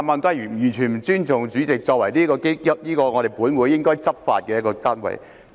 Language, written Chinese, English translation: Cantonese, 他完全不尊重主席作為本會的執法人員。, He had paid no respect at all to the President who enforces the Rules of Procedure in the Council